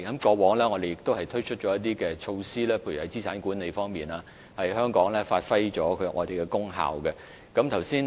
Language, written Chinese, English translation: Cantonese, 過往，我們推出了一些措施，例如在資產管理方面，發揮了香港的功效。, In the past we introduced some measures such as in terms of asset management to bring our role into effective play